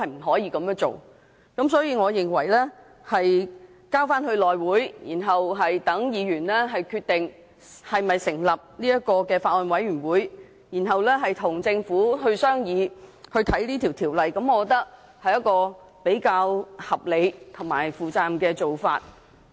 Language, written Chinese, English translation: Cantonese, 所以，將《條例草案》交付內務委員會，然後讓議員決定是否成立法案委員會，再由議員與政府商議和審視《條例草案》，我認為是比較合理和負責任的做法。, So I think it is more reasonable and responsible to refer the Bill to the House Committee for Members to decide whether or not a Bills Committee should be set up and then Members and the Government can deliberate on and examine the Bill